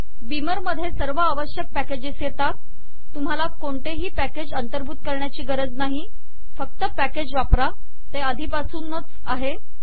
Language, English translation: Marathi, By the way, beamer already comes with necessary packages so u dont have to include any package, use any package, it is already included